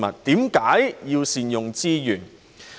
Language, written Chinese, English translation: Cantonese, 為何要善用資源？, Why should we put resources to good use?